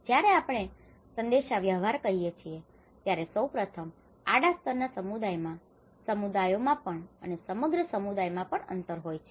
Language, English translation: Gujarati, When we say the communication, communication first of all there are gaps within the horizontal level of community, within the communities also, across the communities